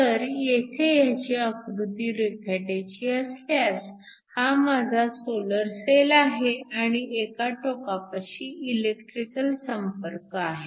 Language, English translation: Marathi, So, if I were to draw a schematic of this here, is my solar cell I have electrical contacts at one end, my light is incoming from this direction